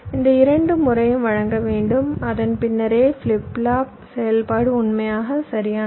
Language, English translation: Tamil, these two times i must provide, then only my flip flop operation will be guaranteed to be faithfully correct, right